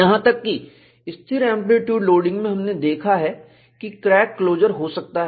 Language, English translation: Hindi, Even in constant amplitude loading, we have seen, there could be crack closure; there could be overload effect